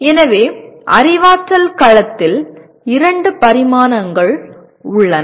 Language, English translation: Tamil, So the cognitive domain has two dimensions